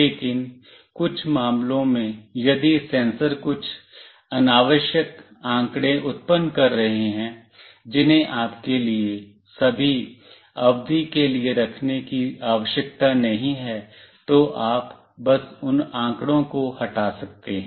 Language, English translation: Hindi, But, in some cases, if the sensors are generating some unnecessary data which need not have to kept for you know for all the period, then you can simply delete those data